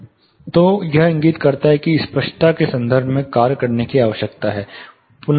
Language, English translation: Hindi, So, this indicates that there is a reworking required in terms of clarity